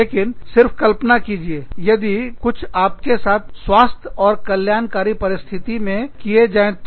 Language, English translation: Hindi, But, if just imagine, if this was being done, with you in, you know, in a health and wellness kind of situation